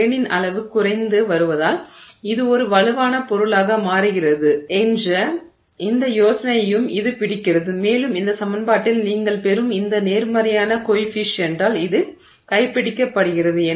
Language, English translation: Tamil, And it also captures this idea that it is getting to be a stronger material as the grain size is coming down and that is captured by this positive coefficient that you get in that equation